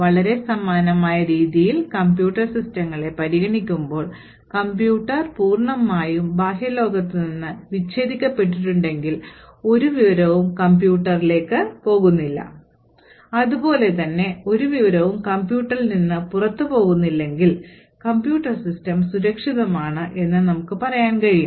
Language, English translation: Malayalam, In a very similar way, when we consider computer systems, if the computer is totally disconnected from the external world, no information is going into the computer and no information is going outside a computer, then we can say that computer system is secure